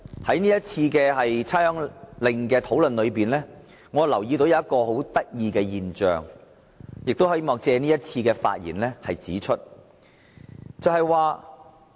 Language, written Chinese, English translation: Cantonese, 關於這項命令的討論，我留意到一種很有趣的現象，希望在這次發言中指出。, During our discussion of the Order I noticed a very interesting phenomenon and would like to point it out in my speech